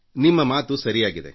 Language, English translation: Kannada, What you say is right